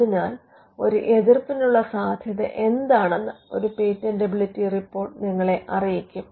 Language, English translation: Malayalam, So, a patentability report would let you know what are the chances of an objection that could come